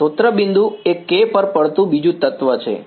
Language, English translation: Gujarati, Source point is the second element falling on K